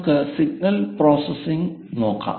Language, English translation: Malayalam, Let us look at first signal processing